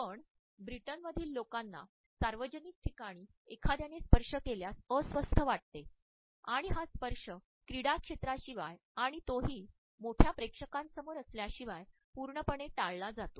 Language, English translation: Marathi, Whereas people in the Britain feel very uncomfortable if somebody touches them in public and this touch is absolutely avoided except perhaps on the sports field and that too in front of a large audience